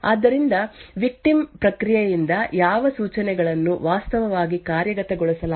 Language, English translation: Kannada, So from this the attacker can infer what instructions were actually executed by the victim process